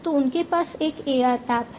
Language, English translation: Hindi, So, they have an AR app